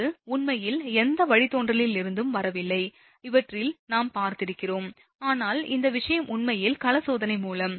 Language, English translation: Tamil, So, this is actually not coming from any derivation, at the these are we have seen, but this thing actually all through the field test, right